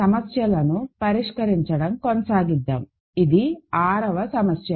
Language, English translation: Telugu, So, let us continue the Problems, this is the 6th problem